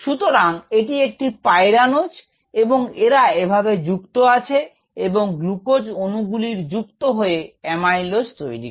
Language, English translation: Bengali, so this is the pyranose form as written here, and then connected to other glucose molecules